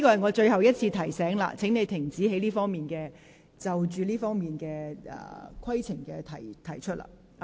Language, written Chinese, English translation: Cantonese, 我最後一次提醒你，請停止就這方面的議事規程提出問題。, I remind you for the last time that you should stop raising procedural issues in this regard